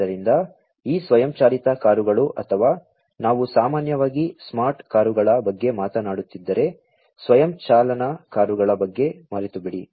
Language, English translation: Kannada, So, these self driving cars or forget about the self driving cars you know, if we are talking about the smart car,s in general